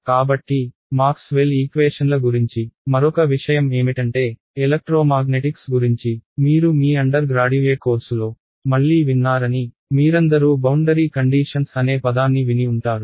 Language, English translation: Telugu, So, the other thing about Maxwell’s equations is that you would have again heard this in your undergraduate course on electromagnetic says that, you all heard the word boundary conditions, boundary conditions right